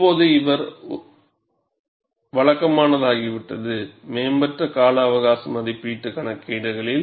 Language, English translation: Tamil, Now, it has become a routine, in advanced life estimation calculations